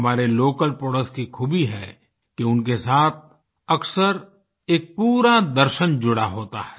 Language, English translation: Hindi, Our local products have this beauty that often a complete philosophy is enshrined in them